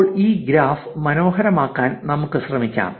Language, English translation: Malayalam, Now, let us customize this graph to make it look prettier